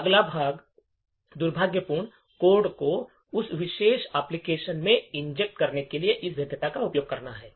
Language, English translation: Hindi, The next part is to use this vulnerability to inject malicious code into that particular application